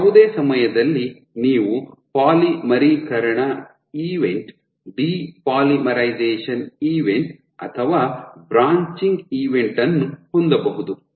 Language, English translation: Kannada, So, at any time step you can have a polymerization event, depolymerization event or a branching event